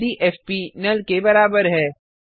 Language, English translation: Hindi, If fp is equals to NULL